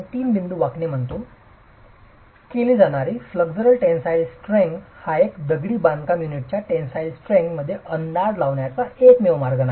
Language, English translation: Marathi, The flexual tensile strength test that is carried out by the three point bending test is not the only way of estimating the tensile strength of masonry